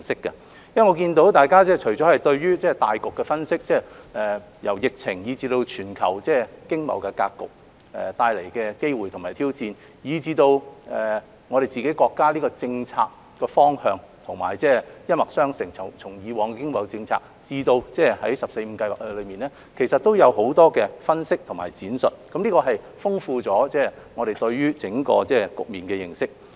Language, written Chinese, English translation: Cantonese, 我看到大家除了對大局的分析，由疫情、全球經貿格局帶來的機會和挑戰，以至對國家的政策方向一脈相承，從以往的經貿政策至《十四五規劃綱要》，其實都有很多分析和闡述，豐富了我們對整個局面的認識。, I notice that Members have consistent analyses on the big picture ranging from the epidemic situation the opportunities and challenges brought by the global economic landscape to the national policy directions and their analysis and explanation of the past economic policies and the Outline of the 14th Five - Year Plan have also enriched our understanding of the whole picture